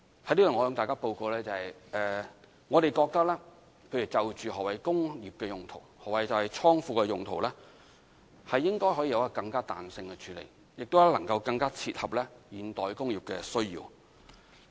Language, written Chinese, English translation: Cantonese, 在此，我向大家報告，我們覺得就何謂"工業"和"倉庫"的用途，應該可以有更具彈性的處理，更能切合現代工業的需要。, I now report that we consider flexible approach should be adopted in defining industrial and godown use so as to meet the needs of contemporary industries